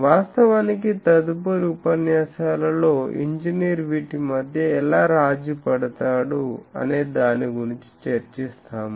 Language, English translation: Telugu, Actually, the next lectures will be actually how an engineer makes that compromise between these